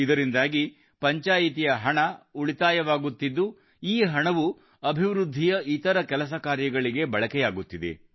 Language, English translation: Kannada, The money saved by the Panchayat through this scheme is being used for other developmental works